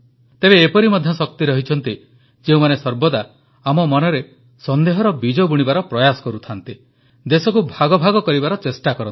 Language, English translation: Odia, Although, there have also been forces which continuously try to sow the seeds of suspicion in our minds, and try to divide the country